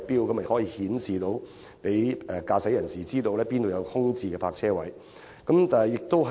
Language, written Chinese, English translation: Cantonese, 新收費錶可顯示給駕駛者知道，哪裏有空置泊車位。, The new facility may give tips on the availability of vacant parking spaces